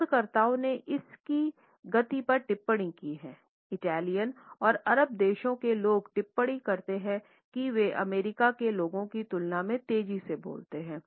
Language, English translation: Hindi, Researchers have commented on the speed of Italians and people of the Arab country and they comment that they speak in a faster manner in comparison to people of the US